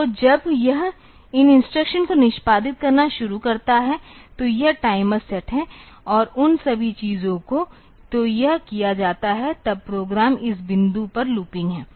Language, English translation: Hindi, So, when it starts executing these instructions; so it is the timer is set and all those things, so that is done; then the program is looping at this point